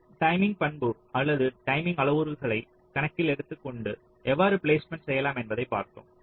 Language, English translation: Tamil, we looked at that how we can do placement taking into account the timing characteristic or the timing parameters in mind